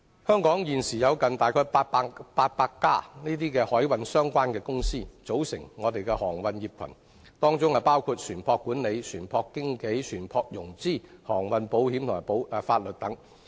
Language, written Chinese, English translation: Cantonese, 香港現時有近800間經營海運相關業務的公司，形成一個航運業群，業務涵蓋船舶管理、船舶經紀、船舶融資、航運保險及法律等。, Hong Kong is currently home to nearly 800 companies engaged in maritime business which have formed a maritime cluster covering such services as ship management ship broking ship finance maritime insurance and legal services etc